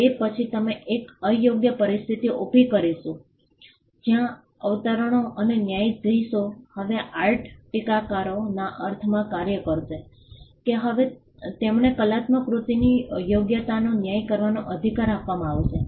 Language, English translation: Gujarati, Then we would create an unfair situation where quotes and judges will now act as art critics in the sense that they would now be given the right to judge the merit of an artistic work